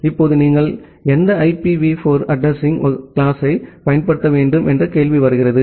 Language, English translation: Tamil, Now, the question comes that which IPv4 address class you should use